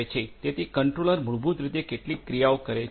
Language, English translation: Gujarati, So, the controller basically takes certain actions right